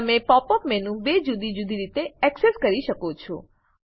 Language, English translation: Gujarati, You can access the pop up menu by two different methods